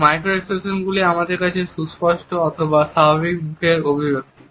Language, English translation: Bengali, Macro expressions are what we understand to be obvious or normal facial expressions